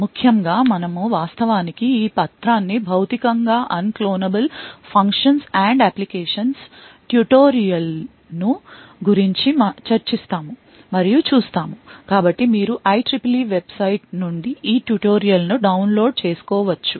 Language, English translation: Telugu, Essentially, we will be actually looking at this paper or we will be discussing this paper called Physically Unclonable Functions and Applications tutorial, So, you can download this tutorial from this IEEE website